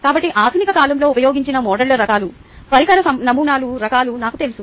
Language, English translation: Telugu, so i know the types of models used in modern times, types of device models